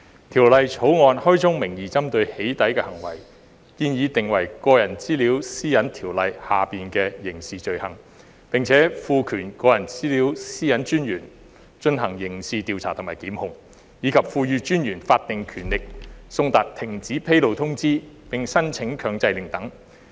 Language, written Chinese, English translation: Cantonese, 《條例草案》開宗明義針對"起底"行為，建議訂為《個人資料條例》下的刑事罪行，並賦權個人資料私隱專員進行刑事調查和檢控，以及賦予私隱專員法定權力送達停止披露通知並申請強制令等。, The Bill makes clear at the outset that it targets doxxing behaviour . It proposes to criminalize doxxing acts as an offence under the Personal Data Privacy Ordinance PDPO empower the Privacy Commissioner for Personal Data to carry out criminal investigations and institute prosecution confer on the Commissioner statutory powers to serve cessation notices and apply for injunctions and so on